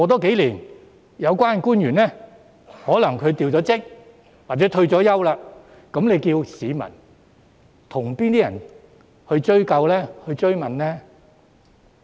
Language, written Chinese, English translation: Cantonese, 數年後，有關官員可能已調職或退休，屆時市民可以向甚麼人追究、追問呢？, A few years later the officials concerned might have been transferred or retired who would be held accountable to the public then?